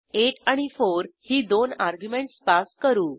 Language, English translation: Marathi, And pass two arguments as 8 and 4